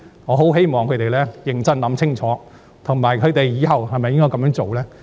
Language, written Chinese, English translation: Cantonese, 我希望他們認真想清楚往後是否仍要這樣做。, I hope they will give serious consideration to whether they should continue such practice the way ahead